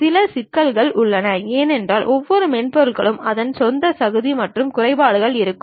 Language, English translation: Tamil, There are some issues also because every software has its own merits and also demerits